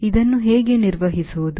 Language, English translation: Kannada, how to handle this